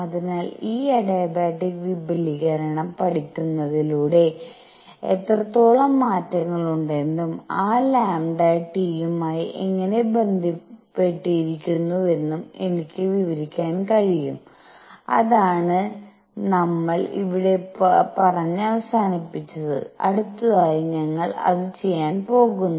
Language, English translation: Malayalam, So, I can actually by studying this adiabatic expansion I can relate how much is the changes is lambda and how is that lambda related to T and that is what we ended and we are going to do it next